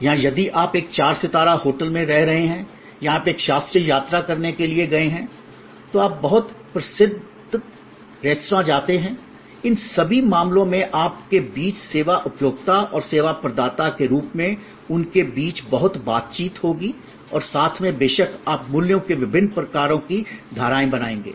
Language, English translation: Hindi, Or if you are staying at a four star hotel or you have gone to visit a classical, you know very famous restaurant, in all these cases there will be lot of interaction between you as the service consumer and them as a service provider and together of course, you will create different kinds of streams of values